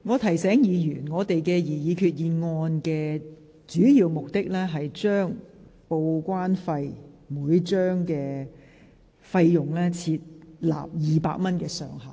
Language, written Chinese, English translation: Cantonese, 我提醒議員，這項擬議決議案的主要目的是就每張報關單的報關費設200元上限。, I remind Members that the main purpose of this resolution is to cap TDEC charge for each declaration at 200